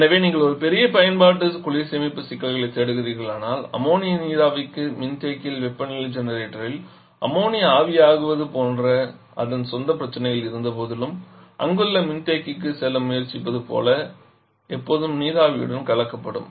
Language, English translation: Tamil, So if you are looking for a very big application cold storage problem you can go for Ammonia vapour despite having its own problems like there is temperature in the condenser, likewise Ammonia in a generator and tries to go to the condenser there